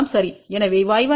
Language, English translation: Tamil, So, y 1 is equal to what 1 plus j 1